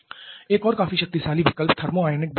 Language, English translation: Hindi, Another quite potent option is thermionic power generation